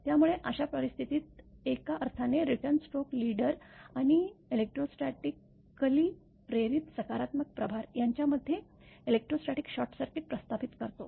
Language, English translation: Marathi, So, in that case in a sense the return stroke establishes an electric short circuit between the negative charge disposited along the leader and the electrostatically induced positive charge in the ground